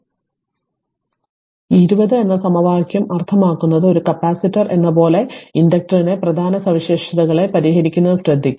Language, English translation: Malayalam, So, equation 20 that means, this equation 20 as well you are following important properties of an inductor can be noted like capacitor also we solve some property